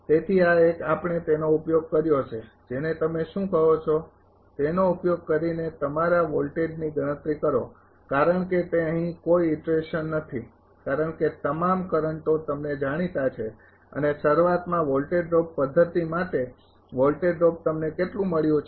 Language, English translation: Gujarati, So, this one we got using this your what you call using that your voltage calculation because it is no iteration here because all currents are known to you and earlier for voltage drop method voltage drop how much you have got 14